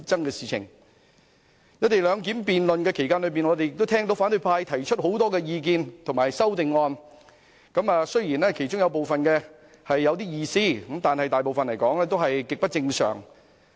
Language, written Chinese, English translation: Cantonese, 在辯論"一地兩檢"期間，我們也聽到反對派提出很多意見和修正案，雖然其中有部分有點意思，但大部分卻是極不正常。, During the debate on the co - location arrangement we have heard a number of views and amendments proposed by the opposition camp . While some of them make some sense the majority are barely sensible